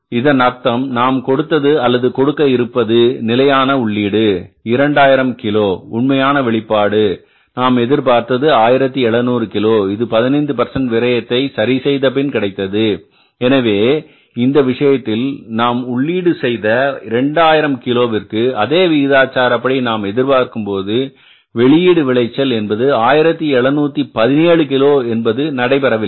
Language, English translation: Tamil, Actual yield and the standard yield, so it means when we gave or we are going to give the standard input of the 2,000 kgs, actual input output expected is 1,700 kgs after adjusting the weightage of 15 percent but here in this case we have found out is that we gave the input of 2 0 to 0 cages so in the same proportion the output expected was the yield expected was 1 717 cages which has not happened